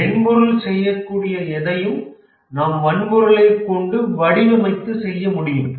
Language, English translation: Tamil, You can design the hardware to do whatever we are doing software